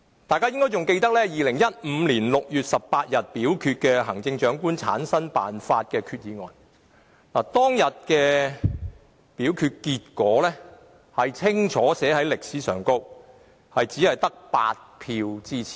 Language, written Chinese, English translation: Cantonese, 大家應該還記得，在2015年6月18日就行政長官產生辦法的決議案進行表決時，表決結果已清楚記入歷史裏，當時只得8票支持。, As all of us may recall when the motion concerning the method for the selection of the Chief Executive was put to vote on 18 June 2015 the voting result has already been recorded clearly in history and there were only eight Members voting for the motion then